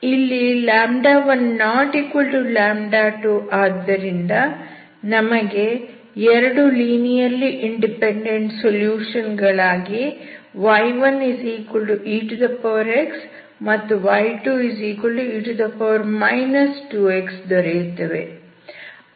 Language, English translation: Kannada, Now the question is how we find the linearly independent solutions y1, andy2